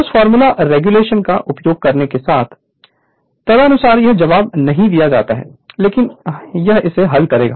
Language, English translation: Hindi, You will use that formula regulation formula, accordingly you will do it this answer is not given, but this will solve it